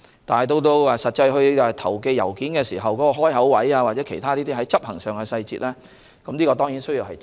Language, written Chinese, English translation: Cantonese, 但在實際投寄郵件時關於開口位或其他執行上的細節，當然也需要注意。, Yet it is certainly necessary to pay attention to the implementation details when letters are actually posted or the position of letter openings